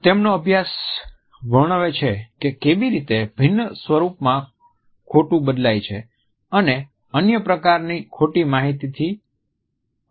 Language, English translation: Gujarati, His study describes how lies vary in form and can differ from other types of misinformation